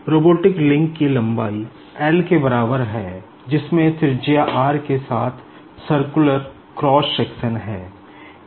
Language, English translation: Hindi, The length of the robotic link is equal to l and it is having the circular cross section with the radius r